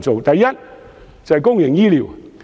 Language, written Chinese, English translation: Cantonese, 第一，是公營醫療問題。, The first problem concerns public health care